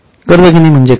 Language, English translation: Marathi, What do you mean by borrowing